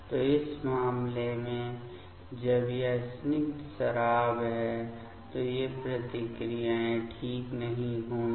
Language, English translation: Hindi, So, in this case when it is aliphatic alcohol these reactions will not work ok